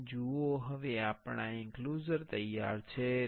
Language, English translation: Gujarati, Here see how our enclosure is ready